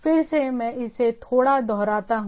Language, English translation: Hindi, So, again, let me little bit repeat it